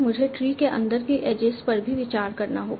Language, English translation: Hindi, I have to also consider this the as is inside the tree